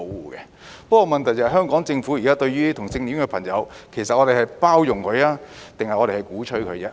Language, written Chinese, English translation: Cantonese, 不過，問題是香港政府現時對於同性戀的朋友，其實是包容他們，還是鼓吹他們呢？, Having said that the question is whether the Hong Kong Government is now tolerant of homosexuality or advocating it